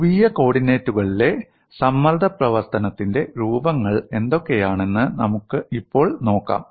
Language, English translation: Malayalam, Now let us look, at what are the forms of stress function in polar coordinates